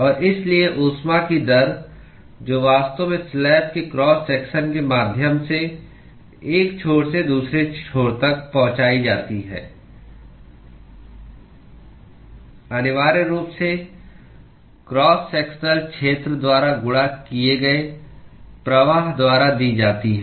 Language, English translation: Hindi, And, so, the rate of heat that is actually transported from one end to the other end via the cross section of the slab is essentially given by the flux multiplied by the cross sectional area